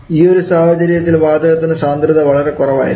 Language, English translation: Malayalam, And in which situation we can have the density of a gas to be too low